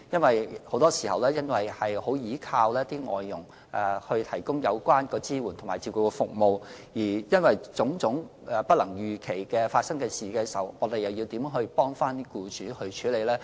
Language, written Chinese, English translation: Cantonese, 由於很多時僱主須倚靠外傭提供支援及照顧服務，當發生種種不能預期的事情時，我們又怎樣幫僱主處理？, As employers must very often rely on FDHs support and service how can we help employers face various kinds of unexpected incidents?